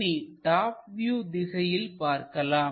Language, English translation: Tamil, Let us look at from top view